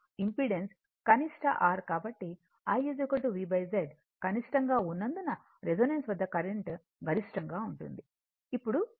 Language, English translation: Telugu, So, since I is equal to V by Z as the Z is minimum that resonance that current is maximum right so, now, angle